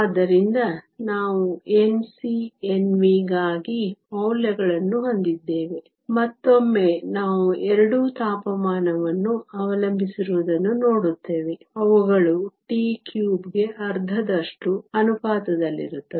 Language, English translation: Kannada, So, we have the values for N c and N v; again we see both are temperature dependent, they are proportional to t to the power 3 half